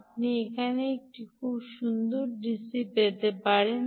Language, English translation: Bengali, you can get a beautiful dc here